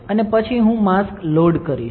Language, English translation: Gujarati, And then I will load the mask